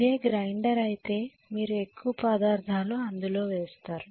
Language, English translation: Telugu, If it is a grinder you will put more and more material to be ground